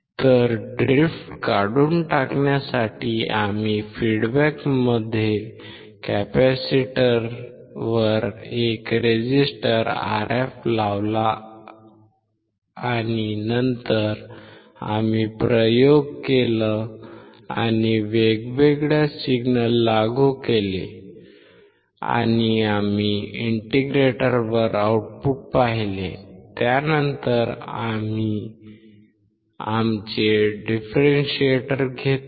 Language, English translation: Marathi, So, to remove the drift we put a resistor Rf across the capacitor in the feedback and then, we have performed the experiments and we have applied different signals and we have seen the output at the integrator, then we took our differentiator